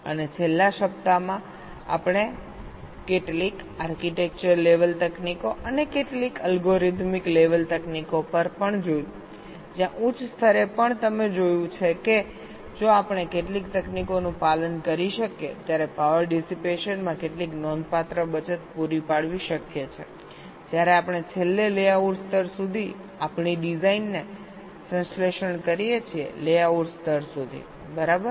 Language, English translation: Gujarati, and in this last week we looked at some architecture level techniques and also some algorithmic level techniques where, even at the higher level, you have seen, if we we can follow some techniques, it is possible to provide some significant saving in power dissipation when we finally synthesis our design into the layout level up to the layout level